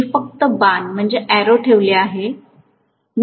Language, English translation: Marathi, I should have put just the arrow